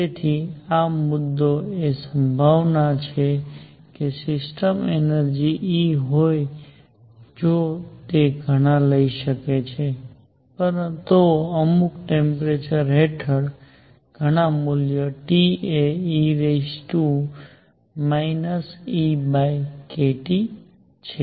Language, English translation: Gujarati, So, the main point is the probability that a system has energy E if it can take many, many values under certain temperature T is e raised to minus E by k T